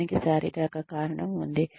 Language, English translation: Telugu, There is a physiological reason for it